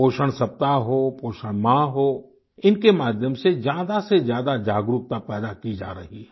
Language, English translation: Hindi, Whether it is the nutrition week or the nutrition month, more and more awareness is being generated through these measures